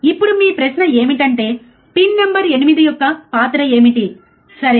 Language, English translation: Telugu, Now, the question to you guys is what is a role of pin number 8, right